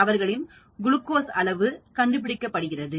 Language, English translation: Tamil, So the glucose levels have gone down